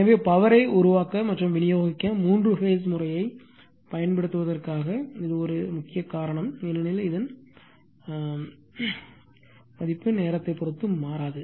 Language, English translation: Tamil, So, this is one important reason for using three phase system to generate and distribute power because of your, this is power what you call independent of the time